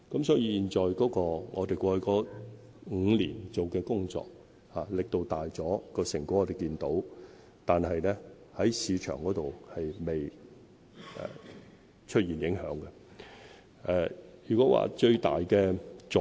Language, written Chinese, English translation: Cantonese, 所以，我們過去5年做的工作力度大了，成果我們亦看到，但在市場上還未出現影響。, Thus although we have made greater efforts in the past five years and the results are noticeable no impact has yet been made on the market